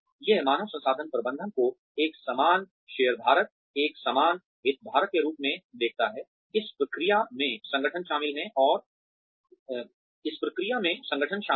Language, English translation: Hindi, It sees human resources management as an equal shareholder, an equal stakeholder, in the process the organization is involved in